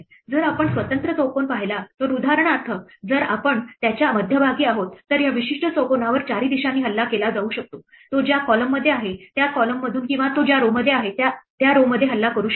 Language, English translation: Marathi, If we look at an individual square then, if we are in the center of this for instance then this particular square can be attacked from 4 directions, can be attacked from the column in which it is or the row in which it is or it can be attacked from this main diagonal or the off diagonal